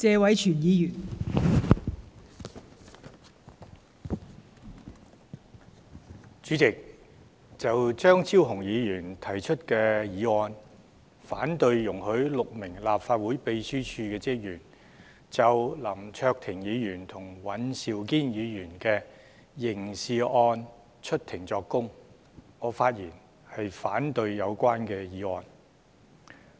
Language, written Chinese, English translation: Cantonese, 代理主席，就張超雄議員提出的議案，反對容許6名立法會秘書處職員就林卓廷議員和尹兆堅議員的刑事案出庭作供，我發言反對有關議案。, Deputy President I speak in opposition to Dr Fernando CHEUNGs motion that argues against the granting of leave to six officers of the Legislative Council Secretariat for giving evidence in Court in the criminal case against Mr LAM Cheuk - ting and Mr Andrew WAN